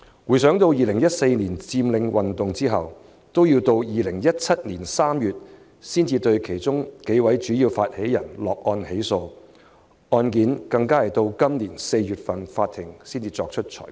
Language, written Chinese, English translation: Cantonese, 回想2014年佔領運動之後，直至2017年3月才對其中數位主要發起人落案起訴，法庭更要在今年4月才對案件作出裁決。, In retrospect after the Occupy movement in 2014 it was not until March 2017 that several of the major initiators of the movement were charged and prosecuted and it was only in April this year that the court meted out the judgment on the case